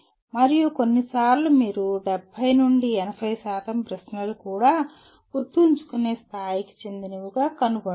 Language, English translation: Telugu, And sometimes you will find even 70 to 80% of the questions belong merely to the Remember level